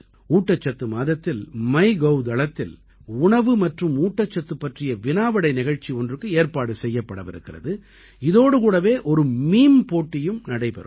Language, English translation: Tamil, During the course of the Nutrition Month, a food and nutrition quiz will also be organized on the My Gov portal, and there will be a meme competition as well